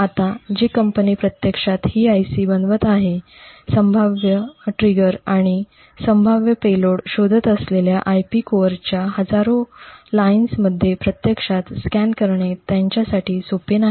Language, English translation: Marathi, Now the company which is actually designing this IC it would not be very easy for them to actually scan through thousands of lines of IP cores looking for potential triggers and potential payloads that may be present